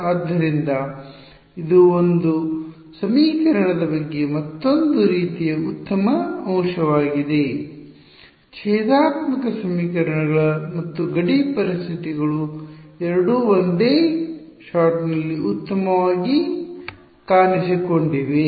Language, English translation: Kannada, So, this that is another sort of nice aspect about this equation that the differential equation and the boundary conditions both have appeared into this in one shot fine